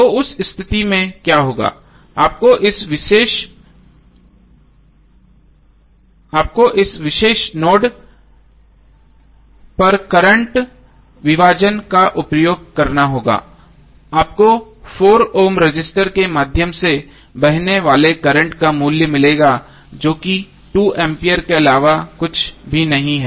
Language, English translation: Hindi, So in that case what will happen you have to use current division at this particular note you will get the value of current flowing through 4 Ohm resistor that is nothing but 2 ampere